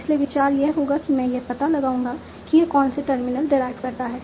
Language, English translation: Hindi, So, the idea would be I will find out what are the terminals that this derives